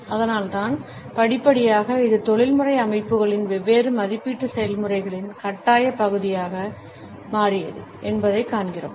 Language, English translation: Tamil, And, that is why we find that gradually it became a compulsory part of different evaluation processes in professional settings